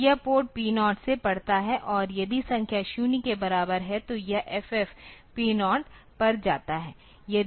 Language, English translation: Hindi, So, it reads from port P 0, and if the number is equal to 0, then it goes to port F F goes to P 0